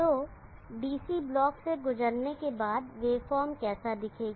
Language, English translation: Hindi, So after it passes through the DC block how will the wave form look like